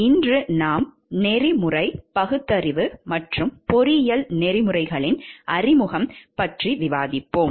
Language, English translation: Tamil, Today we will discuss about the introduction to ethical reasoning and engineering ethics